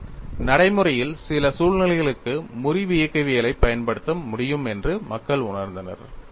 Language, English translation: Tamil, So, people felt that they are able to apply fracture mechanics to certain situations in practice;